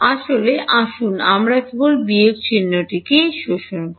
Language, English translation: Bengali, Actually, let us just absorb the minus sign